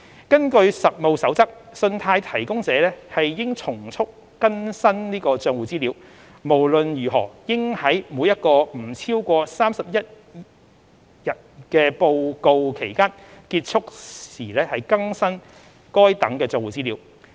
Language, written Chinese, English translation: Cantonese, 根據《實務守則》，信貸提供者應從速更新帳戶資料，無論如何應在每一個不超過31日的報告期間結束時更新該等帳戶資料。, According to the Code of Practice credit providers should update account information promptly by the end of each reporting period and not exceeding 31 days in any event